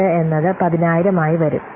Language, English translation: Malayalam, 8 coming to be 10,000